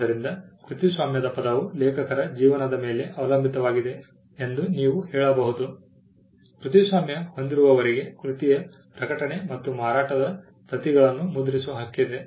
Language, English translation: Kannada, So, you can say that the term of the copyright is also dependent on the life of the author, the copyright holder has the right to print publish sell copies of the work